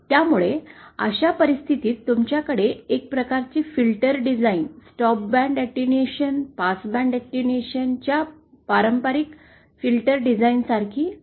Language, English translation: Marathi, So, in that case you have to kind of it is like a traditional filter design of the stop band attenuation, passband attenuation